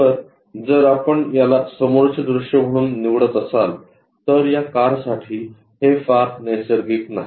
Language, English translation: Marathi, So, if we are picking this one as the front view this is not very natural for this car